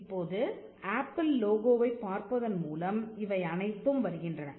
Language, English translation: Tamil, Now, all this comes by just looking at the apple logo